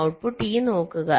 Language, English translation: Malayalam, look at the output e